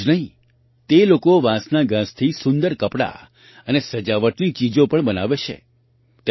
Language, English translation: Gujarati, Not only this, these people also make beautiful clothes and decorations from bamboo grass